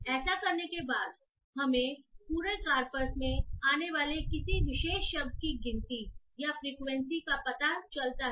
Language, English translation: Hindi, After doing this what we find is that we find the count or the frequency of a particular word occurring in the entire corpus